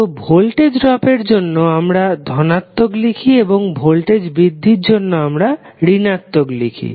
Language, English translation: Bengali, So, for voltage drop we are writing as positive and voltage rise we are writing as negative